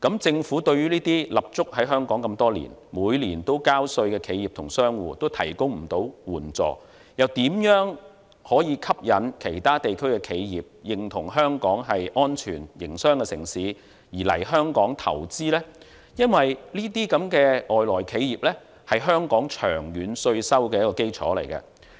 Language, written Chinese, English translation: Cantonese, 政府對於這些立足香港多年、每年都交稅的企業及商戶都未能提供援助，又如何可以吸引其他地區的企業，認同香港是安全營商的城市而來香港投資呢？因為這些外來企業是香港長遠稅收的一個基礎。, Given that the Government has failed to provide assistance to those enterprises and businesses which have been based in Hong Kong for many years and paying tax every year how can it attract enterprises from other regions to invest in Hong Kong in recognition of the city being safe for business considering that these foreign enterprises will contribute to the long - term tax base of Hong Kong?